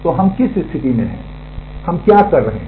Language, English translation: Hindi, So, what we situation are we getting into